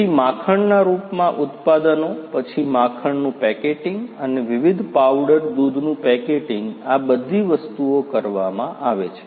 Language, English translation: Gujarati, So, products in the form of butter, then packeting of butter and also packeting of the different you know powder milk all these things are done